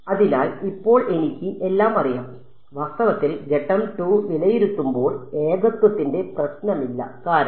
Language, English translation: Malayalam, So, now, I know everything and in fact, in evaluating step 2, there is there is no problem of singularities because